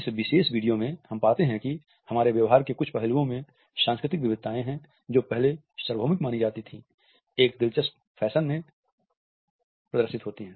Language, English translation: Hindi, In this particular video, we find that cultural variations in certain aspects of our behavior which was earlier considered to be universal are displayed in an interesting fashion